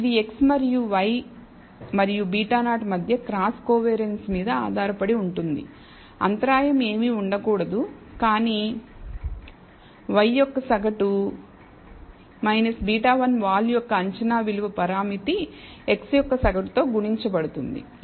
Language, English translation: Telugu, It depends on the cross covariance between x and y and beta naught the intercept turns out to be nothing, but the mean of y minus the estimated value of beta 1 slope parameter multiplied by the mean of x